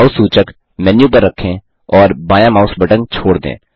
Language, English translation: Hindi, Place the mouse pointer on the menu and release the left mouse button